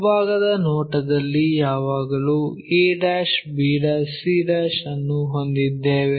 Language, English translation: Kannada, In the front view we always have's a' b' c' and so on